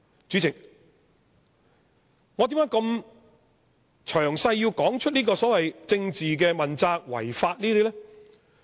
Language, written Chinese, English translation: Cantonese, 主席，我為何要這麼詳細地談論這些所謂政治問責、違法等事情？, President why do I have to go into the details of these scenarios involving the so - called political accountability and violations of the law?